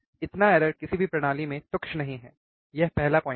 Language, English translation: Hindi, This degree of error is not trivial in any system so, this is first point